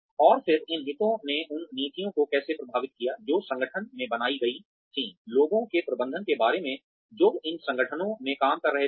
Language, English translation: Hindi, And then, how these interests led to influence the policies, that were formed in the organization, regarding the management of the people, who were working in these organizations